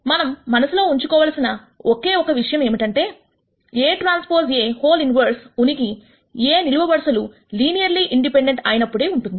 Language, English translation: Telugu, The only thing to keep in mind is that A transpose A inverse exists if the columns of A are linearly independent